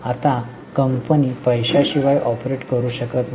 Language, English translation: Marathi, Now, company cannot operate without money